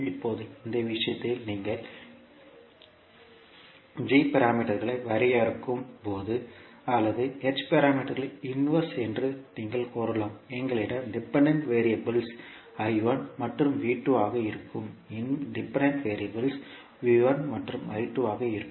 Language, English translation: Tamil, Now, in this case when you are defining the g parameters or you can say the inverse of h parameters, we will have the dependent variables as I1 and V2, independent variable will be V1 and I2